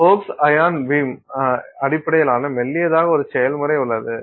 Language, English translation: Tamil, There is a process called focused ion beam based thinning